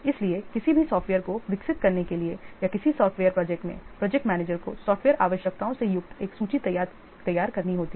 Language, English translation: Hindi, So, for any software to be developed or in a software project, the project manager has to prepare a list containing the software requirements